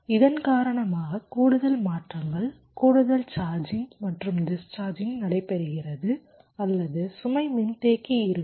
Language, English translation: Tamil, because of this there will be additional transitions, additional charging and discharging taking place, or the load capacitor, so this means additional power dissipation